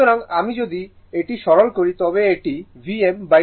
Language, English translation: Bengali, So, if you simplify this, it will be V m by 2 right